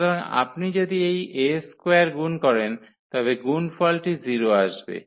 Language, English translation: Bengali, So, if you multiply this a square will come and then this product will be 0 here